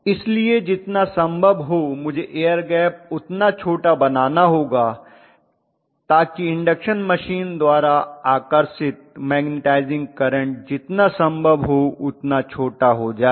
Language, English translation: Hindi, So I have to make the air gap as small as possible so that the magnetizing current drawn in the case of an induction machine becomes really really small as small as possible